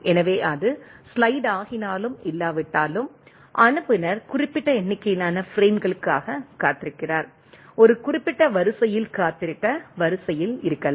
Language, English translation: Tamil, So, whether it is sliding or not at the sender end, receiving is waiting for that specific number of frames, may be in the sequence to wait for the in a specified order right